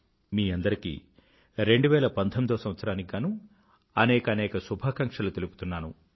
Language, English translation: Telugu, Many good wishes to all of you for the year 2019